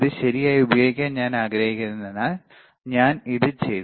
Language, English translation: Malayalam, Because I do not want to use it right so, I am done with this